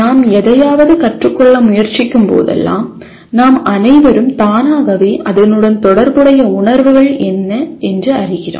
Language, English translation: Tamil, We all know whenever we are trying to learn something, there are always feelings automatically associated with that